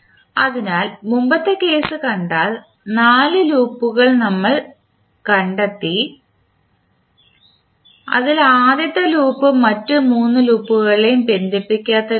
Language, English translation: Malayalam, So, if you see the previous case we found 4 loops out of that the slope is the loop which is not connecting through any of the other 3 loops